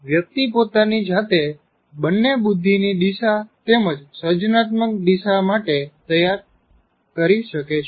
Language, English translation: Gujarati, One can groom himself or herself both in the intelligence direction as well as creative direction